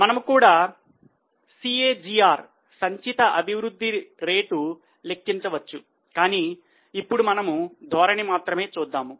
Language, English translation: Telugu, We can also calculate CAGR, cumulative growth rates, but right now we will just do the trend